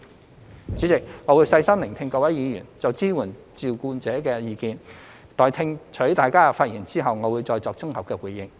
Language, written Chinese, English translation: Cantonese, 代理主席，我會細心聆聽各位議員就支援照顧者的意見。待聽取大家的發言後，我會再作綜合回應。, Deputy President I will listen carefully to Members views on carer support and then give a consolidated response afterwards